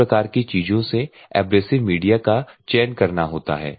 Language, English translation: Hindi, This type of thing one has to select the abrasive medium